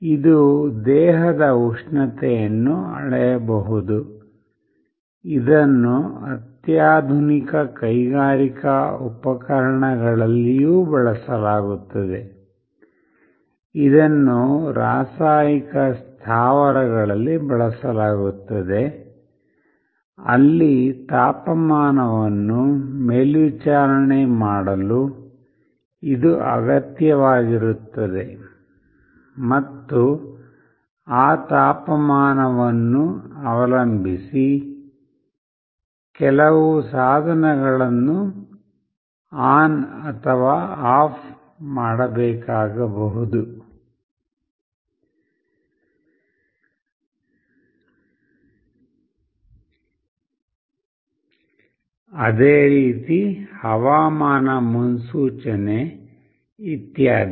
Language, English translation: Kannada, It can measure the temperature of a body, it is also used in sophisticated industrial appliances, it is used in chemical plants, where it is needed to monitor the temperature and depending on that temperature certain devices may be required to be made on or off, weather forecast, etc